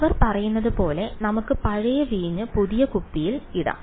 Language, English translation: Malayalam, So, let us as they say put old wine in new bottle alright